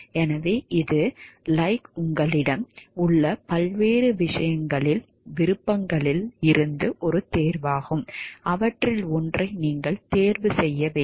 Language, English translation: Tamil, So, it is a choice from like, a various options that you have and you have to like you choose one of them